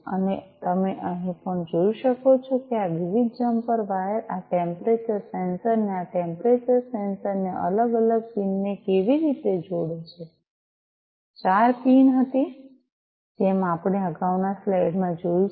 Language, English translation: Gujarati, And also you can see over here how these different jumper wires are connecting this temperature sensor, this temperature sensor, the different pins, there were four pins as we have seen in the previous slide